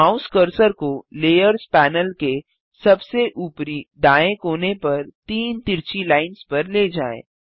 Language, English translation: Hindi, Move the mouse cursor to the three slanted lines at the top right corner of the layers panel